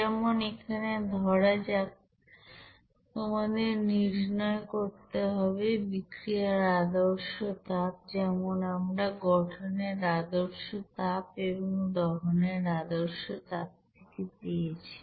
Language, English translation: Bengali, So this is the you know standard heat of reaction which are obtained from heat of combustion and heat of formation